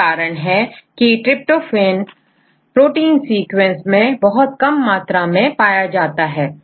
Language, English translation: Hindi, So, this is also one of the reasons why tryptophan is occurring a very less in the case of the a protein sequences